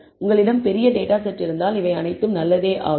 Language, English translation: Tamil, All this is good if you have a large data set